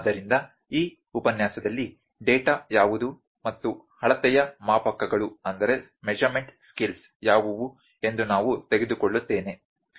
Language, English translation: Kannada, So, in this lecture, I will take what is data and what are the scales of measurement